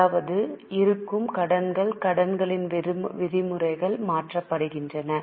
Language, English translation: Tamil, That means existing loans, the terms of loan are changed